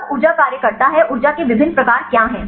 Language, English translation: Hindi, Right then the energy functions what are the different types of energy functions